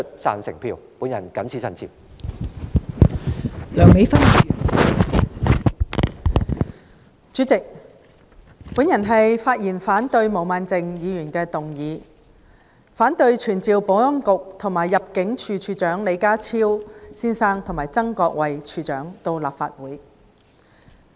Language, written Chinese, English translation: Cantonese, 代理主席，我發言反對毛孟靜議員的議案，反對傳召保安局局長李家超先生及入境事務處處長曾國衞先生到立法會。, Deputy President I rise to speak in opposition to Ms Claudia MOs motion which seeks to summon the Secretary for Security Mr John LEE and the Director of Immigration Mr Erick TSANG to attend before the Council